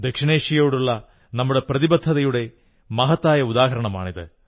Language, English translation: Malayalam, This is an appropriate example of our commitment towards South Asia